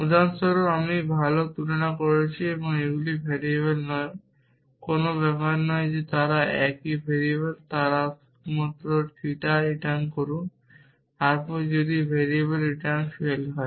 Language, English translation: Bengali, For example, I am comparing well these are not variables does not matter it could that they are same variables then you just return theta then if variable occurs return fail